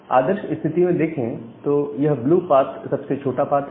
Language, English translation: Hindi, Now, ideally this blue path is a smaller path